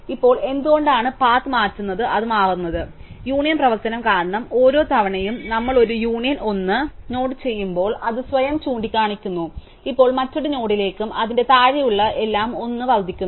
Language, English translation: Malayalam, Now, why does this path change it changes, because of the union operation, every time we do a union 1 node which use to point to itself, now points to another node and everything below it as it is path increase by 1